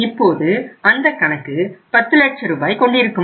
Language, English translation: Tamil, Now that account will become when it was how much it was 10 lakh rupees